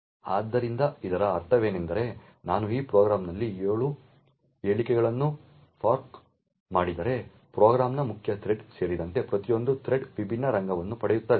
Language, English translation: Kannada, So what this means is that if I fork 7 threads in this program then each thread including the main thread of the program would get a different arena